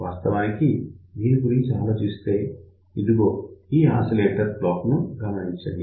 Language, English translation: Telugu, In reality just think about, let us say we have a this particular oscillator block